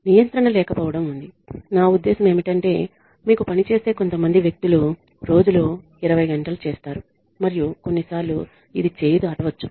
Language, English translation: Telugu, There is lack of control, I mean there could be some people who could be working you know 20 hours in a day and sometimes this could get out of hand